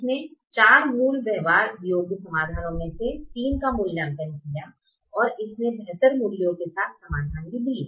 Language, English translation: Hindi, it evaluated three out of the four basic feasible solution, and it also gave solutions with better values